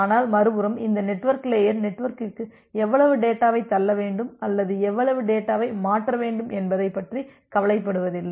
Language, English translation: Tamil, But on the other hand, this network layer it does not bother about that how much data need to be pushed to the network or how much data need to be transferred